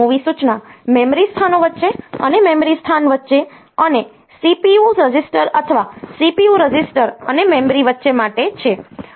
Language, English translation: Gujarati, And so, MOV instruction is for between memory locations, and between memory location and from between CPU registers or CPU register and memory